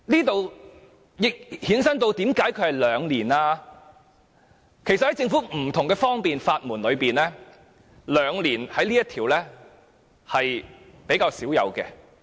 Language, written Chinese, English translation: Cantonese, 其實，在政府提供的不同的方便之門中，同居兩年這項規定是比較少有的。, In fact among the doors of convenience offered by the Government this requirement of living with the deceased for at least two years is not common